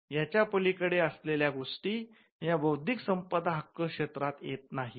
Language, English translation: Marathi, Anything beyond this is not the subject purview of an intellectual property right